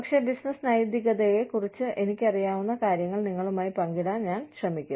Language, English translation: Malayalam, But, I will try to share with you, what I know about, business ethics